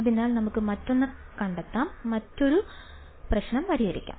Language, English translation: Malayalam, So, let us find another, let us solve another problem